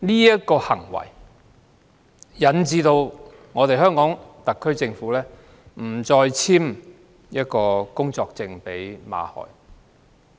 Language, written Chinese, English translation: Cantonese, 這個行為引致馬凱不獲特區政府續發工作簽證。, Because of what he did Victor MALLETs application for visa renewal was rejected by the SAR Government